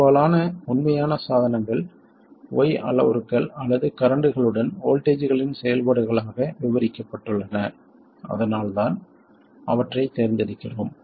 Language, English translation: Tamil, It turns out that most of the real devices are well described by Y parameters or with currents as functions of voltages, that's why we chose them